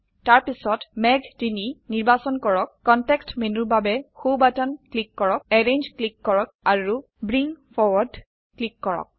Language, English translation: Assamese, Then select cloud 3, right click for context menu, click Arrange and select Bring Forward